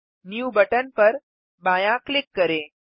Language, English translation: Hindi, Left click the new button